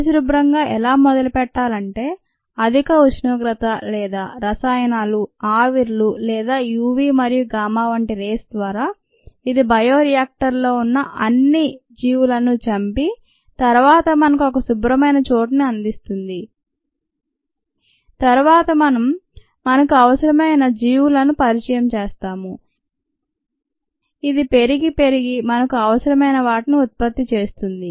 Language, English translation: Telugu, the ways of achieving a clean slate is either through high temperature or a chemicals, vapors, or through radiation such as u, v and gamma, which kills all the organisms that are present in the bioreactor and then provides us with the clean slate, and then we introduce the organisms of our interest which grows, a multiplies, produces the product of interest